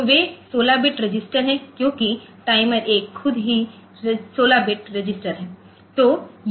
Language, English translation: Hindi, So, they are 16 bit registers because the timer itself, timer one itself is 16 bit